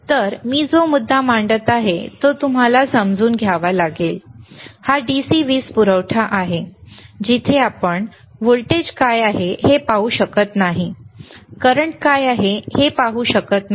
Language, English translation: Marathi, So, you have to understand this thing, the point that I am making, is thisthis is the DC power supply where we cannot see what is the voltage is, we cannot see what is the current rightis